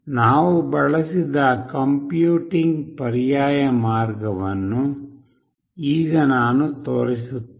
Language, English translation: Kannada, Let me show that the alternate way of computing that we have used